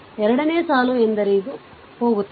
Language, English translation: Kannada, So, second row means this one will go, right